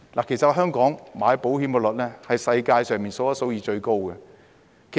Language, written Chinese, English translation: Cantonese, 其實香港人購買保險的機率是世界首屈一指的。, In fact Hong Kong people have among the highest insurance subscription rates in the world